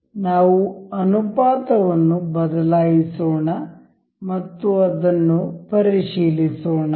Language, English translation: Kannada, Let us just change the ratio and check that